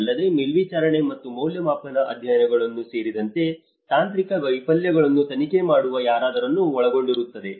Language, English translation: Kannada, Also, someone who can investigate the technical failures including monitoring and evaluation studies